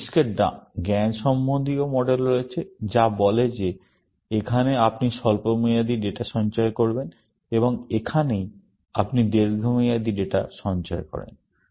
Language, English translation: Bengali, There are cognitive models of the brain, which says that this is where, you store short term data, and this is where, you store long term data